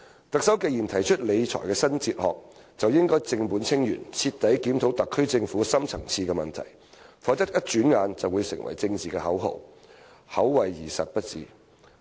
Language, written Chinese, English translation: Cantonese, "特首既然提出理財新哲學，便應正本清源，徹底檢討特區政府的深層次問題，否則轉眼便會成為政治口號，口惠而實不至。, Since the Chief Executive has put forth a new fiscal philosophy she should carry out radical reforms and thoroughly review the deep - seated problems of the SAR Government or else she is just paying lip service to this philosophy which will become a political slogan in no time